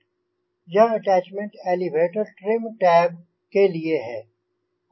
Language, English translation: Hindi, this attachment is for the elevator trim tab